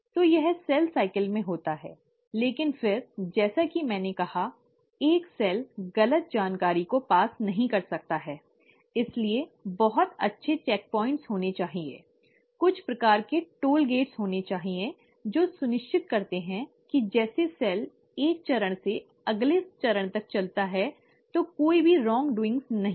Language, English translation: Hindi, So, this is what happens in cell cycle, but then, as I said, a cell cannot afford to pass on wrong information, so there has to be very good checkpoints, there has to be some sort of toll gates, which make sure, that as the cell moves from one phase to the next phase, no wrongdoings have been done